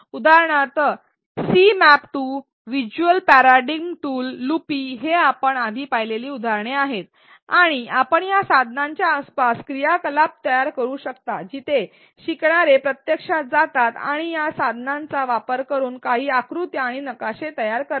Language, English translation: Marathi, For example, the C map tool, visual paradigm tool, loopy is the example we saw earlier and you can create activities around these tools where learners actually go and build some diagrams and maps using these tools